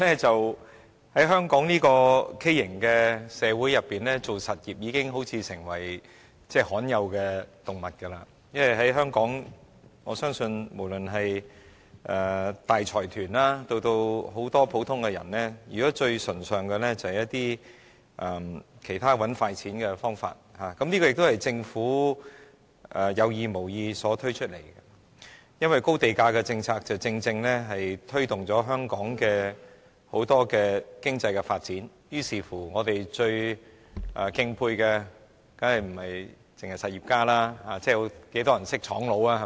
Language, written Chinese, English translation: Cantonese, 在香港這個畸形社會中，從事實業的人好像已成為罕有動物，因為在香港，我相信不論是大財團或很多普通人，現時最崇尚的是很多其他賺快錢的方法，這也是政府在有意無意間造成的，因為高地價政策正正推動了香港很多經濟發展，於是我們最敬佩的當然不是實業家，而有多少人認識廠家呢？, In such a deformed society like Hong Kong people engaged in industries are like rare species because in Hong Kong I believe what the large consortiums or many ordinary people now adore most are many other ways of making quick money . This is caused by the Government intentionally or otherwise since the high land price policy has indeed fostered enormous economic development in Hong Kong . Hence people whom we admire most are certainly not industrialists